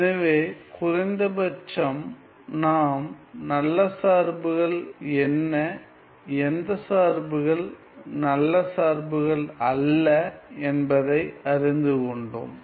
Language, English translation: Tamil, So, at least we know what are good functions and which functions are not good functions ok